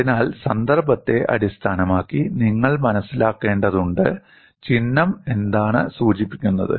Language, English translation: Malayalam, So, you will have to understand based on the context, what does the symbol indicates